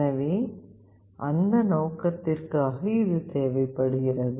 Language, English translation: Tamil, So, for that purpose this is required